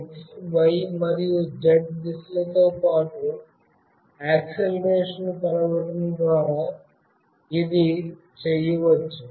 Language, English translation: Telugu, This can be done by measuring the acceleration along the x, y and z directions